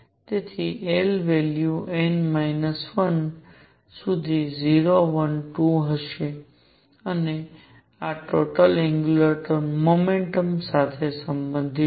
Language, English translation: Gujarati, So, l values will be 0, 1, 2 upto n minus 1 and this is related to total angular momentum